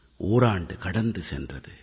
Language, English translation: Tamil, An entire year has gone by